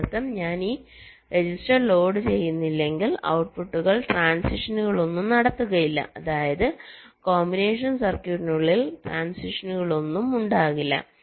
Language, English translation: Malayalam, which means if i do not load this register, the outputs will not be making any transitions, which means within the combinational circuit also there will not be any transitions